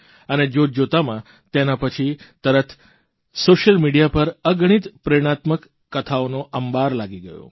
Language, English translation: Gujarati, And within no time, there followed a slew of innumerable inspirational stories on social media